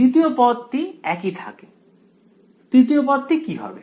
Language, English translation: Bengali, The second term remains as is; what about the third term